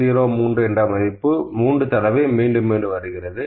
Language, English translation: Tamil, 03 is repeating 3 number of times